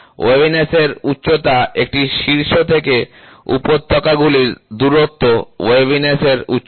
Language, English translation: Bengali, Waviness height is the distance between peak to valley, so this is waviness height